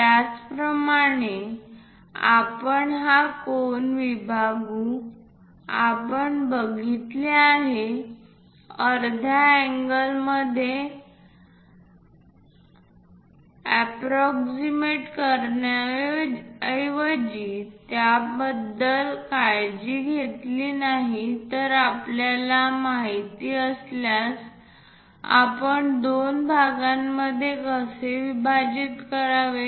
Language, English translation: Marathi, Similarly, divide this angle we have seen if we instead of approximating into half angles if we are not very careful about that we know how to divide this into two parts